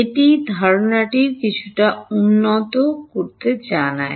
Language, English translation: Bengali, It conveys the idea a little bit better ok